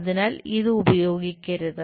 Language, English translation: Malayalam, So, this one should not be used